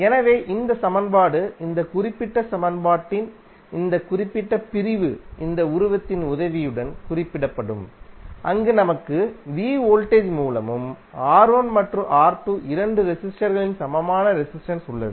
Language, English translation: Tamil, So this equation, this particular segment of the this particular equation will be represented with the help of this figure, where we have a v voltage source and the equivalent resistor of both of the resistors both R¬1 ¬ and R¬2¬